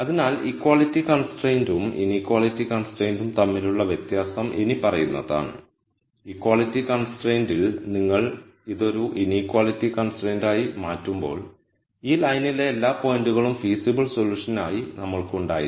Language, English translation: Malayalam, So, the di erence between the equality constraint and the inequality con straint is the following, in the equality constraint we had every point on this line being a feasible solution when you make this as a inequality constraint